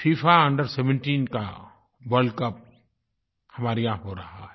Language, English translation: Hindi, FIFA under 17 world cup is being organized in our country